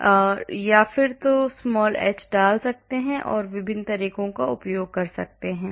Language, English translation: Hindi, So, either I can put small h or I can use different methods